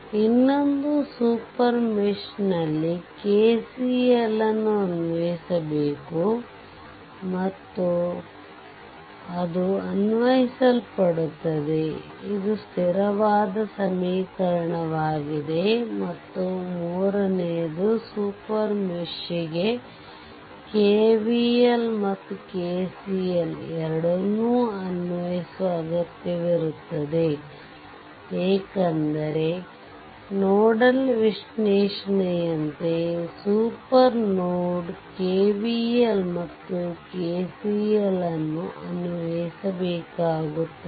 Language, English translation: Kannada, So, and that and another thing is in the super mesh you have to apply KCL and that is applied and this is the constant equation right, let me clear it and the third one is super mesh require the application of both KVL and KCL because like your nodal analysis also we have seen super node KVL and KCL here also KVL is required at the same time the constant equation here is KCL, right that is must, right